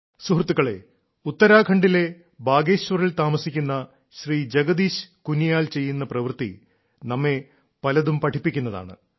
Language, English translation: Malayalam, the work of Jagdish Kuniyal ji, resident of Bageshwar, Uttarakhand also teaches us a lot